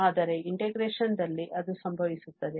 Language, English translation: Kannada, But in the integration, it happens